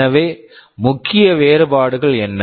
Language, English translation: Tamil, So, what are the main differences